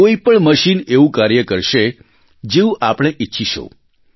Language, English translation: Gujarati, Any machine will work the way we want it to